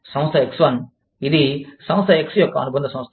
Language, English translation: Telugu, Firm X, which is a subsidiary of Firm X